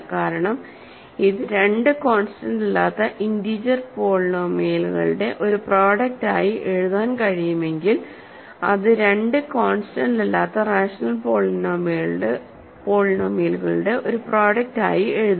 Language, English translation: Malayalam, If f can be written as a product of two non constant integer polynomials, it can also be written as a product of two non constant rational polynomials because any integer polynomial is a rational polynomial